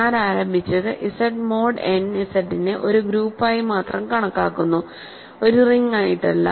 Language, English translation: Malayalam, What I have started with is Z mod n Z is considered as a group only, not as a ring